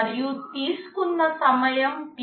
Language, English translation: Telugu, And the time taken is Tk